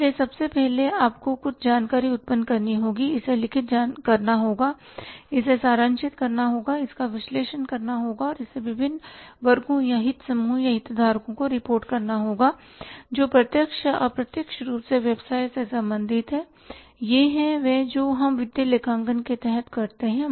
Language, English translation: Hindi, So first of all you have to generate some information recorded, summarize it, analyze it and report it to the different sections or the interest groups or the stakeholders who are directly or indirectly related to the business, this what we do under the financial accounting